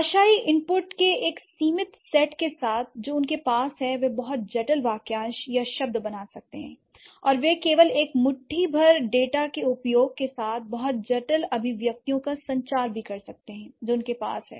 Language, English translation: Hindi, With just limited set of linguistic input that they have, they can create, they can form very complex phrases or words and they can also communicate very complex expressions with just the use of a handful of data that they have in hand